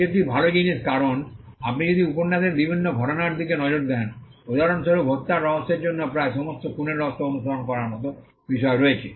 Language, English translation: Bengali, This is a good thing because, if you look at various genres of novels say for instance murder mystery almost all murder mysteries have a similar theme to follow